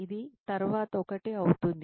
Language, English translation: Telugu, Which would be 1 for the after